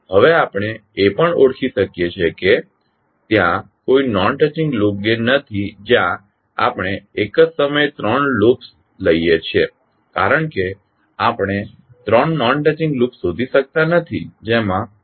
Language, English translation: Gujarati, Now, we can also identify that there is no non touching loop gains where we can take three loops at a time because we cannot find out three non touching loops which do not have the common nodes